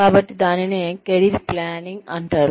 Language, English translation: Telugu, So, that is called career planning